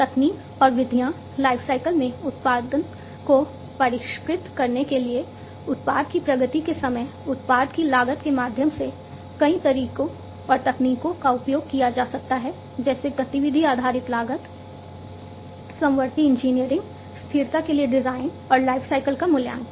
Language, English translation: Hindi, Techniques and methods, to refine the production across the lifecycle by means of product progress time, product cost, many methods and techniques can be used such as activity based costing, concurrent engineering, design for sustainability, and lifecycle assessment